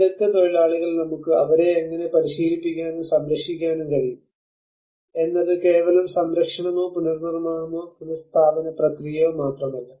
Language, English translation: Malayalam, And the skilled labour, how we can train them and conservation it is not just only the preservation or the reconstruction or the restoration process